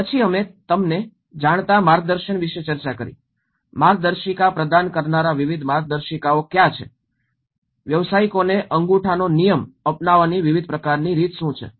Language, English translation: Gujarati, Then we did discuss about the guidance you know, what are the various manuals that has provided guidance, what are the various kind of giving thumb rule directions to the practitioners